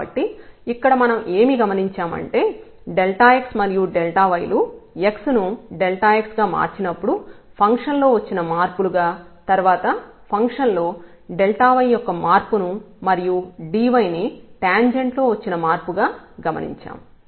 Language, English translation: Telugu, So, what do we observe here that this delta x and the delta y are the changes in the function when we changes x by delta x then there was a change of delta y in the function and this d y was the change in the tangent